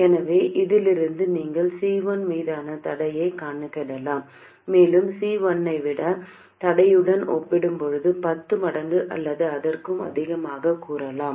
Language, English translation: Tamil, So, from this you can calculate the constraint on C1 and set C1 to be, let's say, 10 times or even more compared to the constraint